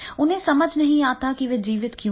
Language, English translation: Hindi, They don't understand that is why they are alive